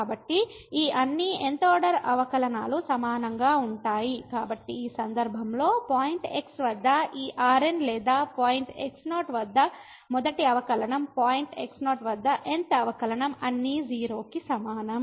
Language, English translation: Telugu, So, all these th order derivative are equal, so in this case therefore this at point or the first derivative at point naught the th derivative at point naught all are equal to 0